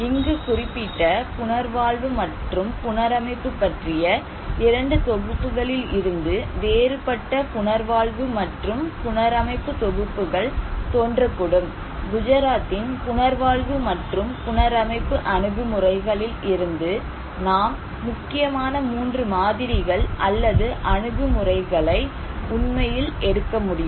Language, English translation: Tamil, Now, the 2 packages we mentioned here of rehabilitation and reconstructions, from that different approaches of rehabilitation and reconstruction may emerge, but we can actually take out of that many, 3 very prominent models or approaches of rehabilitation and reconstruction of the Gujarat